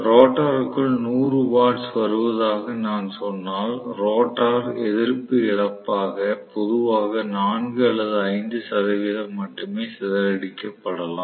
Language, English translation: Tamil, If, I say 100 watts are coming into the rotor I may have only 4 or 5 percent being dissipated generally as the rotor resistance loss